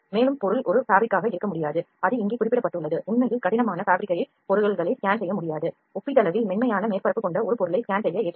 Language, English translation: Tamil, Also the object cannot be a fabric no fluffy it is mentioned here actually the fabrics and objects that have rough nap cannot be scanned an object that has comparatively smooth surface is suitable for scanning